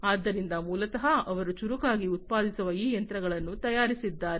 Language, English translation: Kannada, So, basically they have made these machines that they produce smarter